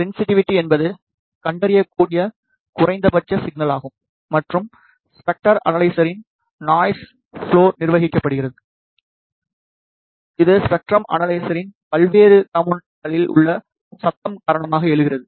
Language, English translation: Tamil, Sensitivity is the minimum detectable signal and is governed by the noise floor of the spectrum analyzer, which arises due to noise in the various components of a spectrum analyzer